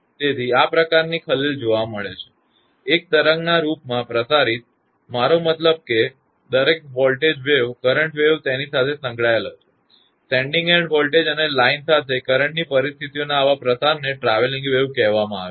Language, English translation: Gujarati, So, this kind of disturbance will be seen therefore, propagated in the form of a wave; I mean every voltage wave a current wave will be associated with it; the such a propagation of the sending end voltage and current conditions along the line is called travelling waves